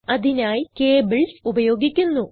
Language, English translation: Malayalam, This is done using cables